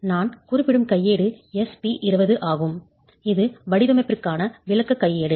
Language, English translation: Tamil, The handbook that I was referring to is SP20 which is an explanatory handbook for design